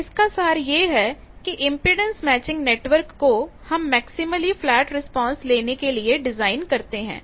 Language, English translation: Hindi, So, summary of these is impedance matching network is designed to achieve maximally flat response the generic expressions you have seen